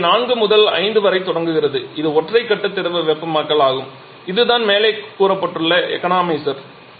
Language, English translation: Tamil, It starts from this point for from point 4 to 5 this is single phase liquid hitting that is the above that is the economizer